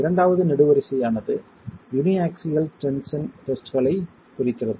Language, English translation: Tamil, The second column is referring to uniaxial tension tests